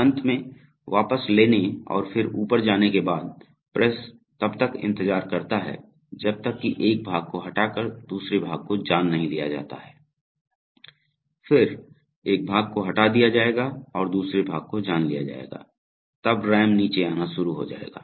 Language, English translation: Hindi, Finally, after retracting and then going up, the press waits till the part is removed and the next part is detected, so till the part will be removed and then after that when the next part will be detected, again the RAM will start coming down